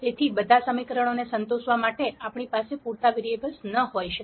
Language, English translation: Gujarati, So, we might not have enough variables to satisfy all the equations